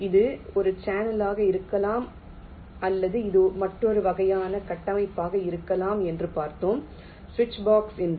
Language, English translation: Tamil, it can be a channel or, we shall see, it can be another kind of a structure called a switch box